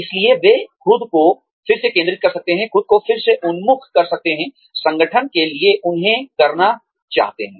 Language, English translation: Hindi, So, that, they can re focus themselves, re orient themselves, to what the organization, wants them to do